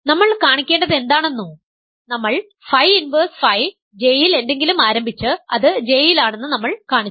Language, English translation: Malayalam, Which is what we want to show, we started with something in phi inverse phi J and we have showed that it is in J